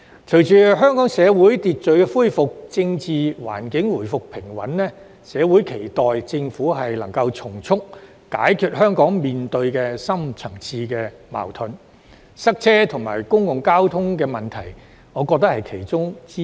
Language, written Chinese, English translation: Cantonese, 隨着香港社會恢復秩序，政治環境回復平穩，社會期待政府能從速解決香港面對的深層次矛盾，我認為塞車及公共交通問題是其中之一。, With the restoration of social order and political stability in Hong Kong the community is eager to see that the Government can expeditiously address the deep - rooted conflicts of Hong Kong and I think the problem concerning traffic congestion and public transport is among them